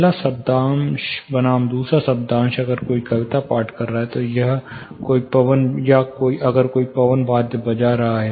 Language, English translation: Hindi, The first syllable versus the second syllable; say if somebody reciting poetry, or if somebody is playing wind instruments